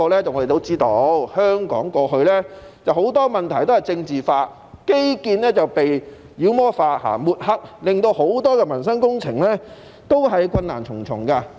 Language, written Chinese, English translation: Cantonese, 我們都知道，香港過去很多問題都被政治化，基建被妖魔化和抹黑，令很多民生工程都困難重重。, As we all know in the past many issues in Hong Kong have been politicized . Infrastructure development has been demonized and vilified making it tremendously difficult to take forward many projects relating to the peoples livelihood